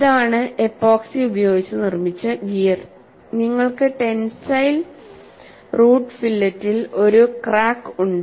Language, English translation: Malayalam, This is the gear made of epoxy and you have a crack in the tensile root fillet